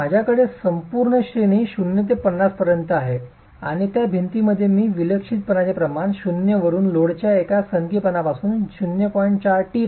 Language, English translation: Marathi, So, I have an entire range from 0 to 50 and in those walls I am changing the eccentricity ratio from 0, no eccentricity of load to an eccentricity of 0